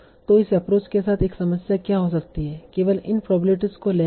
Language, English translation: Hindi, So what can be one problem with this approach with only taking these probabilities as such